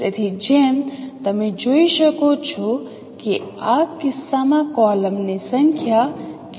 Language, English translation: Gujarati, So as you can see what is the number of columns in this case